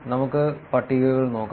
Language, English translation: Malayalam, Let us look at the tables